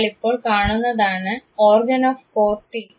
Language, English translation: Malayalam, You now see the organ of corti